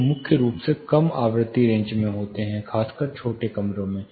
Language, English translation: Hindi, They occur primarily, no frequency range, especially in small rooms